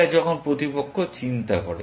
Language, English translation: Bengali, It is when opponent is thinking